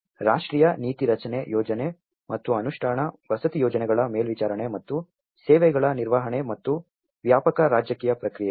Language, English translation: Kannada, The national policy making, the planning and implementation, monitoring of housing projects and the managing of the services and wider political processes